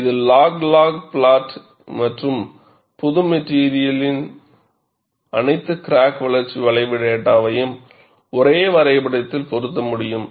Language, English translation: Tamil, This is the log log plot and you are able to fit all the crack growth curve data for a single material into a single graph